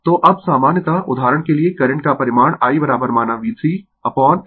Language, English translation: Hindi, So, now in general that magnitude of the current I is equal to say V 3 upon x e for example,